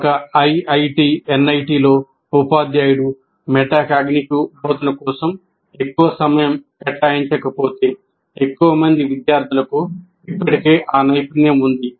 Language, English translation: Telugu, So in an IIT or in an NIT, if you don't, if the teacher doesn't spend much time on metacognitive instruction, it may be okay because people are able to, they already have that skill, that ability